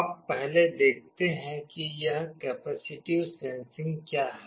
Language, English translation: Hindi, Now, first let us see what this capacitive sensing is all about